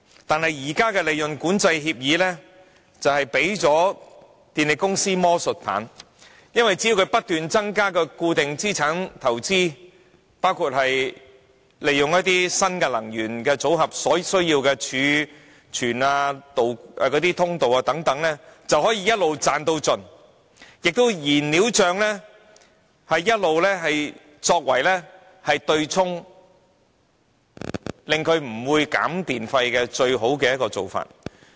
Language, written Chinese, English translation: Cantonese, 但是，現時管制利潤的協議，卻給予電力公司魔術棒，只要他們不斷增加固定資產投資，包括利用新能源組合所需要的儲存、管道等，便可以一直"賺到盡"，而燃料帳也一直作為對沖，成為他們拒絕削減電費的最好方法。, The profit control agreements are nonetheless as useful to the power companies as magic wands . So long as they keep increasing their investment in fixed assets including the reserves and ducts necessary for the new fuel mix they can earn to their hearts content . The fuel cost has all along been used to offset the call for reduction in electricity tariffs and is thus the best excuse for refusal